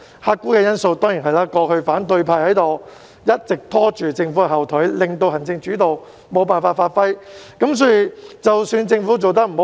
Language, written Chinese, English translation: Cantonese, 客觀因素當然是反對派過去一直拖政府後腿，令政府無法發揮行政主導。, The objective factor is the opposition camp which used to be a hindrance to the efforts of the Government preventing the latter from performing its executive - led functions